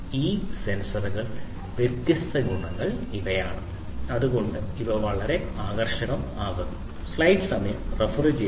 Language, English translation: Malayalam, These are the different advantages of these intelligent sensors and that is why these are very attractive